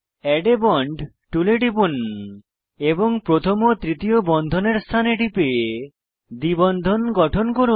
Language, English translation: Bengali, Click on Add a bond tool and click on first and third bonds positions, to form double bonds